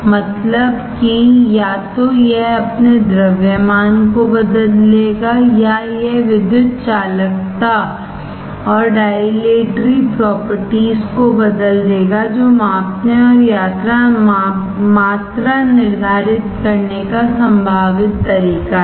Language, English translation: Hindi, That is either it will change its mass or it will change the electrical conductivity and dilatory properties that is possible way to measure and quantify